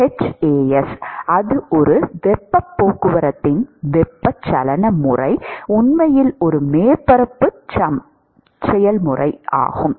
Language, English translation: Tamil, h into So, that is a; the convective mode of heat transport is actually a surface area process